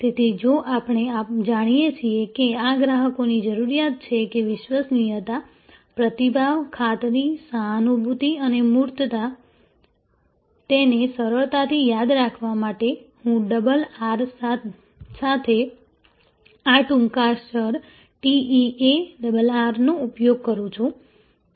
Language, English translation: Gujarati, So, if we want know that these are the customers requirement that reliability, responsiveness, assurance, empathy and tangibles to remember it easily, I use this acronym TEARR with double R